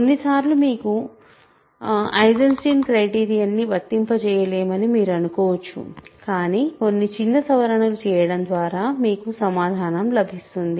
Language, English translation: Telugu, Sometimes, it might appear like initially you do not have you initially you might think that you cannot apply Eisenstein criterion, but some small modification works to give you the answer